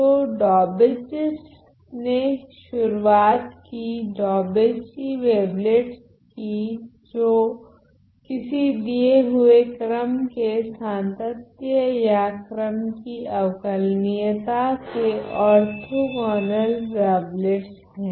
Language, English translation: Hindi, So, Daubechie introduced the so, called Daubechie wavelets which are orthogonal wavelets of any given prescribed order of continuity or order of differentiability